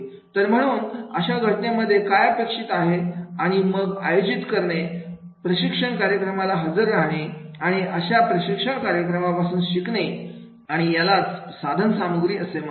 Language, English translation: Marathi, So, therefore, in that case, what is expected and then conducting the training, attending training programs and then the learning from that particular training program and that is called the instrumentality